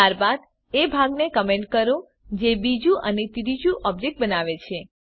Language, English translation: Gujarati, Then Comment the part which creates the second and third objects